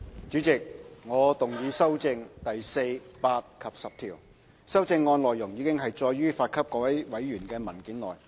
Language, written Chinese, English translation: Cantonese, 主席，我動議修正第4、8及10條。修正案內容已載於發給各位委員的文件內。, Chairman I move the amendments to clauses 4 8 and 10 the contents of which are set out in the papers circularized to members